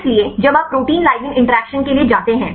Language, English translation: Hindi, So, when you go to the protein ligand interactions right